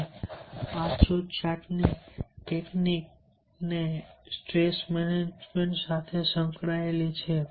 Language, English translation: Gujarati, and this relaxation technique is also associated with stress management